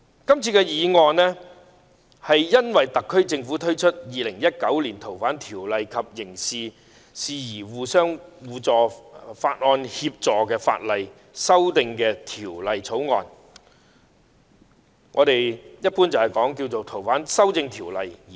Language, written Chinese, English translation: Cantonese, 這項議案的起因是特區政府推出《2019年逃犯及刑事事宜相互法律協助法例條例草案》，即一般稱為《逃犯條例》的修訂。, This motion is initiated because the Government has introduced the Fugitive Offenders and Mutual Legal Assistance in Criminal Matters Legislation Amendment Bill 2019 usually referred to as amendments of the Fugitive Offenders Ordinance FOO